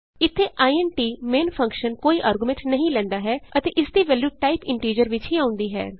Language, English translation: Punjabi, Here the int main function takes no arguments and returns a value of type integer